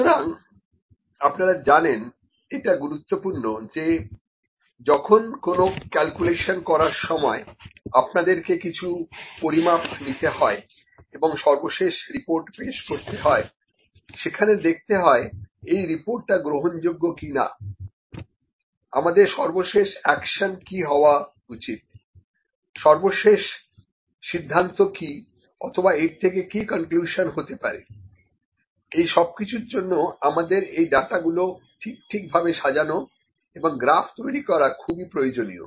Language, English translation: Bengali, So, this is also important you know, when you do the measurements to just do some calculations and you have to represent the report finally, this is acceptable or this is not acceptable or what should be the final action that is to be taken, what has what is the final decision or what conclusion have withdrawn from that, for that it is important to draw the data properly